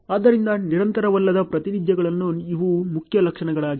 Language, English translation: Kannada, So, these are the main features in non continuous representations